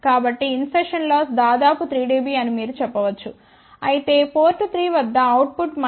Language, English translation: Telugu, So, you can say that insertion loss is of the order of 3 dB whereas, output at port 3 is about minus 15